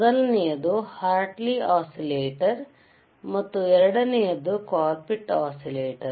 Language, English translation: Kannada, tThe first one wasis a Hartley oscillator and the second one was colpitts oscillator